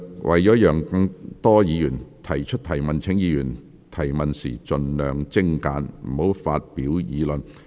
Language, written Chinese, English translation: Cantonese, 為讓更多議員提問，請議員提問時盡量精簡，不要發表議論。, To allow more Members to ask questions questions raised by Members should be as concise as possible . Members should not make arguments when asking questions